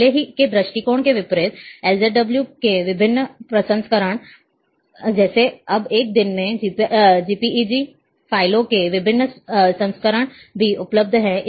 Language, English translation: Hindi, Unlike, a, unlike earlier approaches, there are different versions of LZW, like now a days different versions of JPEG files are also available